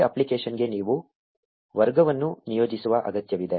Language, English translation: Kannada, You need to assign a category to this app